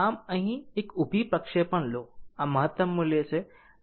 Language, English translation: Gujarati, So, take a projection here this is the maximum value